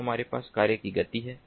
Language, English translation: Hindi, then we have the speed of mission